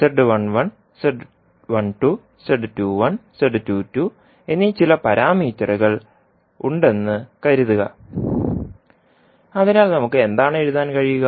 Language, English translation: Malayalam, Suppose, there are some parameters called Z11, Z12, Z21 and Z22, so what we can write